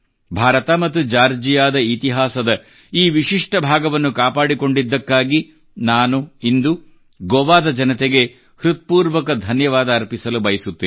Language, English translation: Kannada, Today, I would like to thank the people of Goa for preserving this unique side of the shared history of India and Georgia